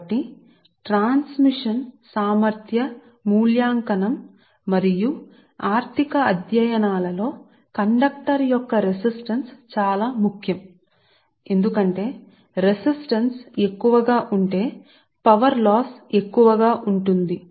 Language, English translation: Telugu, so resistance of the conductor is very important in transmission efficiency evaluation and economic studies, because if resistance is more, then power loss will be more